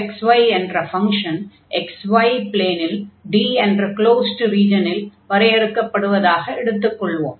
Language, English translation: Tamil, So, in this case let f x be defined in a closed region d of the x, y plane